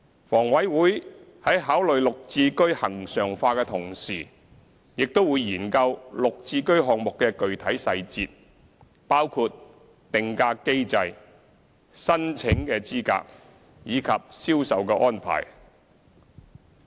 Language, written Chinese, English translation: Cantonese, 房委會在考慮"綠置居"恆常化的同時，亦會研究"綠置居"項目的具體細節，包括定價機制、申請資格及銷售安排。, In considering the regularization of GHS HA will also study the specific details of GHS projects such as the pricing mechanism application criteria and sales arrangement